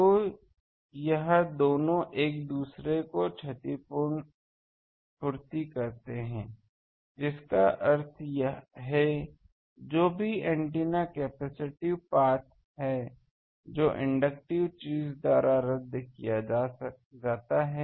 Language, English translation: Hindi, So, this two compensates each other that means, whatever antennas capacitive path that is cancelled by inductive thing